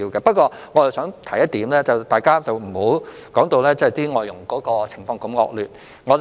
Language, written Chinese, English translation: Cantonese, 不過，我想提出一點，大家不要把外傭的情況說得這麼惡劣。, However I would like to raise one point that is we should not make the situation of FDHs sound so terrible